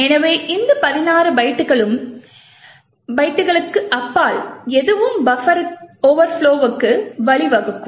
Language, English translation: Tamil, So, anything beyond these 16 bytes would lead to a buffer overflow